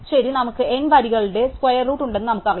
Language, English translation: Malayalam, Well, we know that it we have square root of N rows